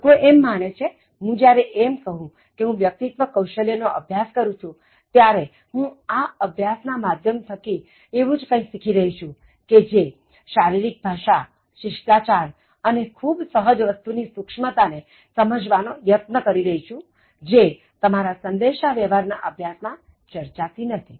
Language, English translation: Gujarati, People think that when you say that I am doing a course on Soft Skills, I am learning something about Soft Skills although they know that, okay, you may be trying to understand the subtleties of body language, etiquette and then certain very innate things, which not overtly discussed let us say in communication courses